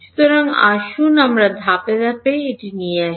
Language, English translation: Bengali, So, let us come to it step by step